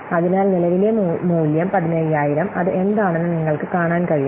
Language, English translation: Malayalam, So the present value, you can see that 15,000 is what